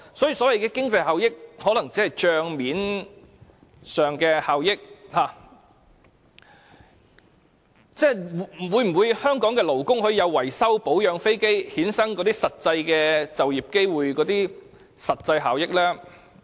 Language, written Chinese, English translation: Cantonese, 所以，所謂的經濟效益可能只存在於帳面上，香港的勞工可否享有藉維修、保養飛機而衍生就業機會等實際效益呢？, These so - called economic benefits may only exist on paper . Will Hong Kong workers get any actual benefits such as job opportunities from repairing or maintaining aircraft?